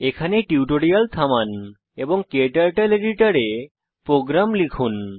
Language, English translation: Bengali, Please pause the tutorial here and type the program into your KTurtle editor